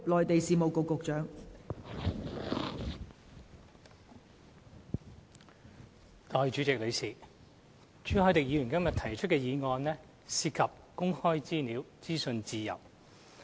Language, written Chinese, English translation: Cantonese, 代理主席，朱凱廸議員今天提出的議案涉及公開資料和資訊自由。, Deputy President the motion moved by Mr CHU Hoi - dick today is about access to information and freedom of information